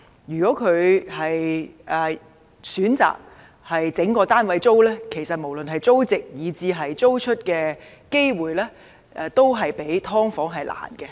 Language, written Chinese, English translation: Cantonese, 如果業主選擇將整個單位出租，無論是租值以至租出的機會，都較"劏房"為低。, If landlords choose to let out an entire flat compared to subdivided units its rental value and even the chance of it being let out are lower